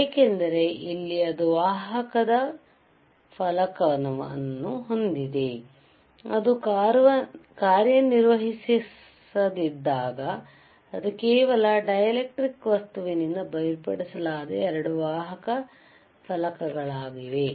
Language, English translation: Kannada, bBecause you have a conducting plate, you have a conducting plate when, when it is not operating, it is is like a 2 conducting plates separated by some material by some dielectric material